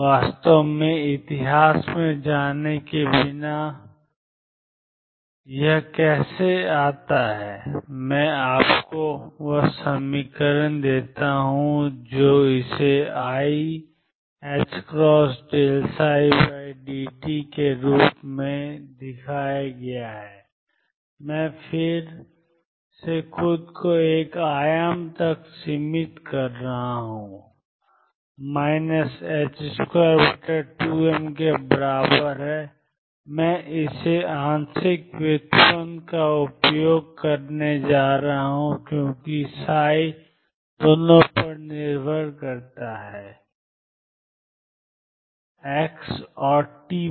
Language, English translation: Hindi, Without really going to the history and how it comes about let me give you the equation it is given as i h cross d psi over dt, I am again restricting myself to one dimension, is equal to minus h cross over 2 m now I am going to use a partial derivative because psi depends on both on x and t